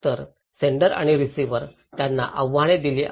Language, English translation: Marathi, So, the senders and receivers they are challenged